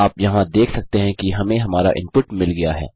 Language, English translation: Hindi, You can see here we got our input here